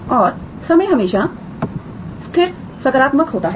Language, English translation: Hindi, And time is always positive, okay